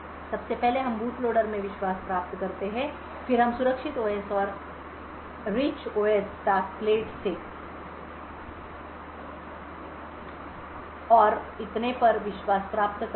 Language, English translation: Hindi, First we obtain trust in the boot loader then we obtain trust in the secure OS and from the, the rich OS tasklet and so on